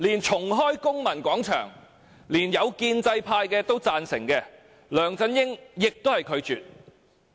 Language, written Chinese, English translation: Cantonese, 重開公民廣場，連一些建制派議員都贊成，梁振英也拒絕。, Even some Members from the pro - establishment camp supported the reopening of the Civic Square but LEUNG Chun - ying refused